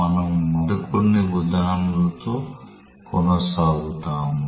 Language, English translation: Telugu, We will continue with some more examples